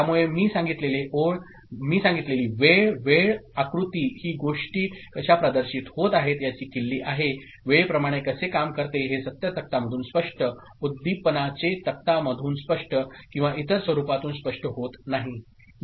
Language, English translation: Marathi, So, as I said the timing diagram is the key to exhibit how the things happen, work out with respect to time, which is not very clear from the truth table, excitation table or other form of you know representation